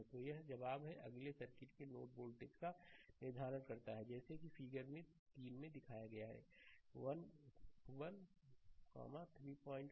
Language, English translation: Hindi, Now, next one is determine the node voltage of the circuit as shown in figure your 12 that 3